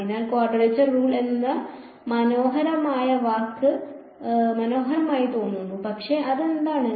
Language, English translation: Malayalam, So, the word quadrature rules sounds fancy, but what is it